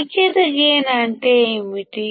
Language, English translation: Telugu, Unity gain means what